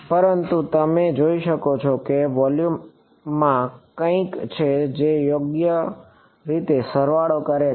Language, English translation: Gujarati, But you can see that there is something in the volume which is being summed over right